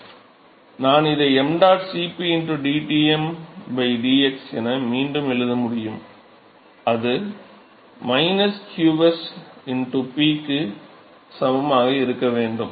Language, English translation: Tamil, So, I can rewrite this as mdot Cp into dTm by dx that should be equal to minus qs into P